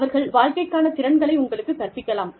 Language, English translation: Tamil, They could teach you, life skills